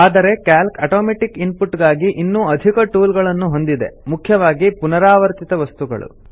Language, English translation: Kannada, But Calc also includes several other tools for automating input, especially of repetitive material